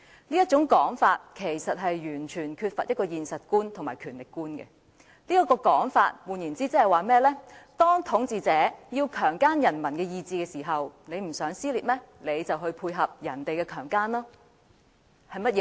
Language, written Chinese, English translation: Cantonese, 這種說法完全缺乏現實觀和權力觀，他言下之意是，當統治者要強姦人民的意志時，如你不想出現撕裂，便要配合被強姦。, Such an argument is completely detached from the concept of reality and the concept of power . He was implying that when the ruler wants to desecrate the will of the people and if you do not want to create dissension you have to cooperate